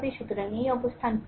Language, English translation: Bengali, So, this stance is 4